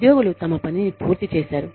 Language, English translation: Telugu, Employees have, done their work